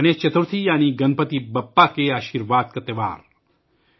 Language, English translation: Urdu, Ganesh Chaturthi, that is, the festival of blessings of Ganpati Bappa